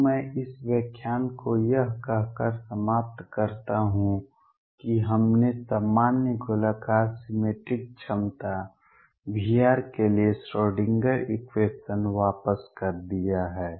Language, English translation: Hindi, So, let me just now conclude this lecture by saying that we have return the Schrodinger equation for a general spherically symmetric potential V r